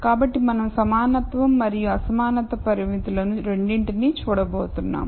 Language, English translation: Telugu, So we going to look at both equality and inequality constraints